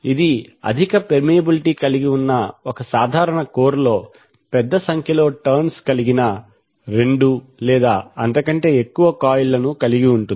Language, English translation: Telugu, So it consists of two or more coils with a large number of turns wound on a common core of high permeability